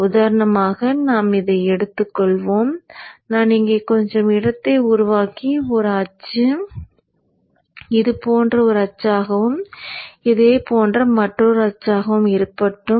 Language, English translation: Tamil, For example, when we consider, let me make some space here, yeah, and let me have the axis, let us have one axis like this and another axis like this